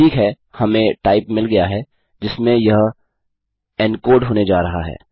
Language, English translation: Hindi, Okay so weve got the type this is going to be encoded to